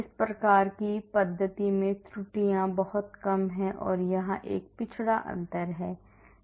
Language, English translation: Hindi, the errors are very little here in these type of method or there is a backward difference